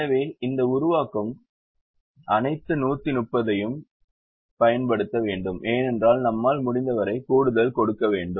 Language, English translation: Tamil, so this formulation, all the hundred and thirty, have to be used because we want give us much extra as possible